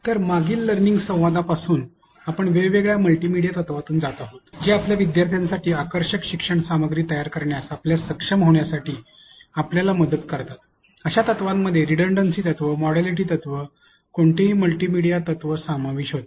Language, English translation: Marathi, So, in the previous learning dialogues we have going through different multimedia principles that help you to be able to create engaging learning content for your students, such principles included redundancy principle, modality principle, any multimedia principle